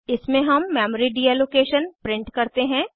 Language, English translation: Hindi, In this we print Memory Deallocation